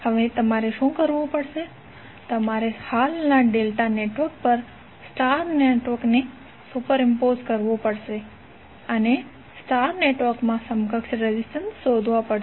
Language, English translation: Gujarati, Now what you have to do; you have to superimpose a star network on the existing delta network and find the equivalent resistances in the star network